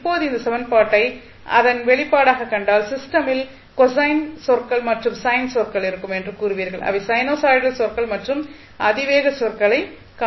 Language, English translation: Tamil, Now, if you see this equation the expression for it you will say that the system will have cosine terms and sine terms that is sinusoidal terms you will see plus exponential terms